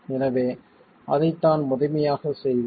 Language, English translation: Tamil, So that's primarily what we would be doing